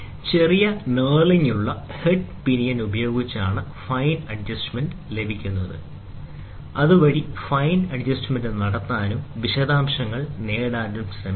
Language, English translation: Malayalam, The fine adjustments are obtained with a small knurled headed pinion that is used, so that we can try to do fine adjustment and get the details